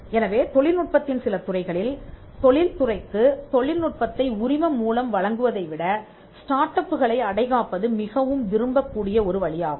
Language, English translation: Tamil, So, in certain fields of technology incubating startups could be much preferred way than licensing the technology to the industry